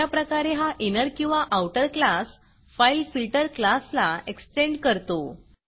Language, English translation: Marathi, This inner or outer class will extend the fileFilter class